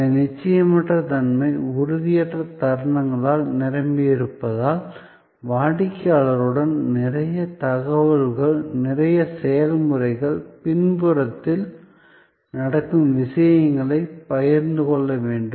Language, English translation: Tamil, Because of this conscious uncertainty filled intangible moments, you need to share with the customer, a lot of information, lot of process, the stuff that are going on in the back ground